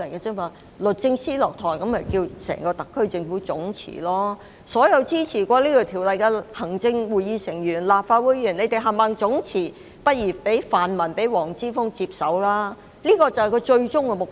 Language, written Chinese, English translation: Cantonese, 當律政司司長下台後，他們便會叫整個特區政府總辭，而所有曾支持《條例草案》的行政會議成員和立法會議員亦應總辭，然後讓泛民議員和黃之鋒接手，就是他們的終極目的。, Once the Secretary for Justice has stepped down they would call for the resignation of the entire SAR Government along with all those Members of the Executive Council and Members of the Legislative Council who supported the Bill so that Members of the pan - democratic camp and Joshua WONG could take over . This is their ultimate goal